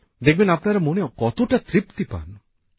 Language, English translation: Bengali, You will see how satisfying this is